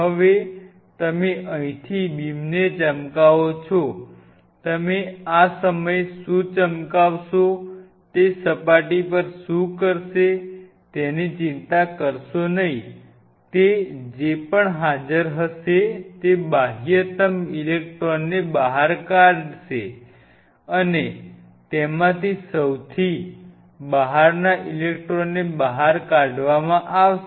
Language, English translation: Gujarati, now you shine emerging beam out here, do not worry about it what you are shining at this point what this will do is on the surface whatever is present it will eject out the outermost electrons and each one of those outermost electrons which are being ejected out